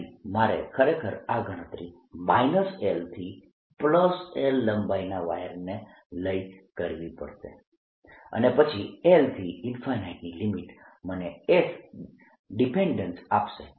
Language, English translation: Gujarati, so i have to actually do this calculation by taking a long wire going from minus l to l and then taking the limit l, going to infinity, and that'll give me the s dependence